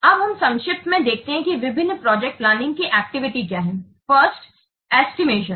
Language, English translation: Hindi, Now let's see briefly what are the various project planning activities